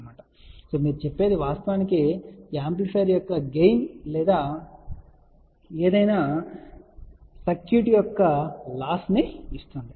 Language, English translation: Telugu, So, hence this you can say will actually give the gain of the amplifier or loss of any given circuit